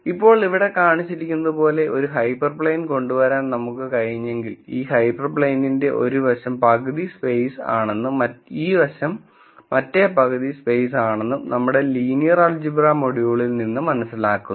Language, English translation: Malayalam, Now, if we were able to come up with hyper plane such as the one that is shown here, we learn from our linear algebra module that to one side of this hyper plane is half space, this side is a half space and, depending on the way the normal is defined, you would have positive value and a negative value to each side of the hyper plane